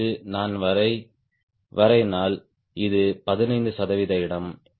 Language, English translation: Tamil, another, if i draw this is fifteen percent location